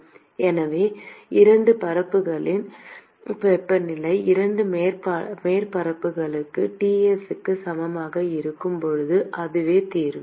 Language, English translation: Tamil, So, that is the solution when the temperatures of the 2 surfaces either surfaces are equal to Ts